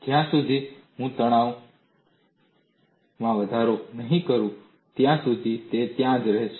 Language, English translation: Gujarati, Until I increase the stress further, it would remain there